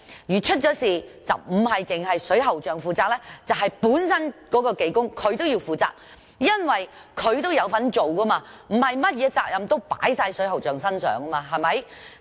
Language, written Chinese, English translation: Cantonese, 如果發生事故，並非只有水喉匠負責，而是負責工程的技工也要負責，因為他有參與工程，不應將所有責任推到水喉匠身上。, In case an accident happens not only is the plumber liable but the technician who carried out the works is also liable because he has participated in the works and the plumber should not be solely liable